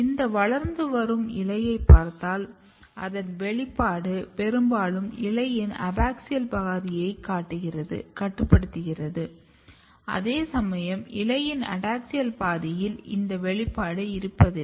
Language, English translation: Tamil, So, this is developing leaf you can clearly see that expression is mostly restricted the abaxial half of the leaf whereas, the adaxial half portion of the leaf do not have this expression